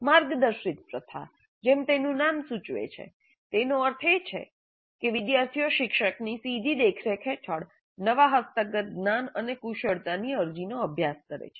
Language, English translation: Gujarati, The guided practice as the name implies essentially means that students practice the application of newly acquired knowledge and skills under the direct supervision of the teacher